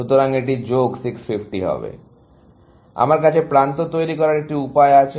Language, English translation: Bengali, So, I have a way of devising edges